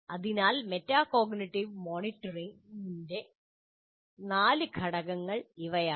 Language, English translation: Malayalam, So these are the four elements of metacognitive monitoring